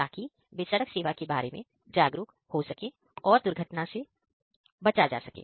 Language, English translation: Hindi, So, that they can be also aware about the road service and accident also can be avoided in this way